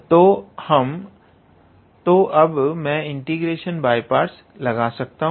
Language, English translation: Hindi, So, now, I can apply integration by parts